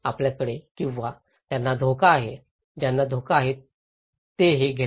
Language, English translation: Marathi, We have or those who are at risk, those who are at risk they are the receivers of this